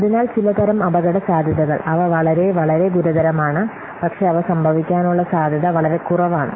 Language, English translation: Malayalam, So some kinds of risks are there they are very serious but the very unlikely they will occur the chance of occurring them is very less